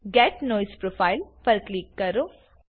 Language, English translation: Gujarati, Click on Get Noise Profile